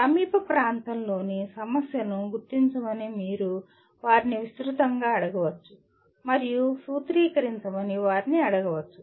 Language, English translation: Telugu, You can broadly ask them to identify a problem in nearby area and ask them to formulate